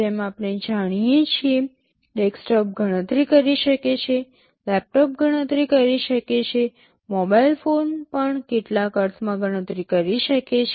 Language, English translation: Gujarati, Like we know desktop can compute, a laptop can compute, a mobile phone can also compute in some sense